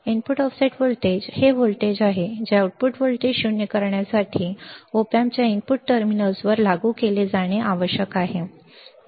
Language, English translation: Marathi, The input offset voltage, is the voltage that must be applied to the input terminals of the opamp to null the output voltage to make the output voltage 0